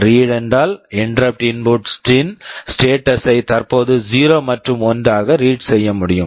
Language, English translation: Tamil, read means you can read the status of the interrupt input whether it is 0 and 1 currently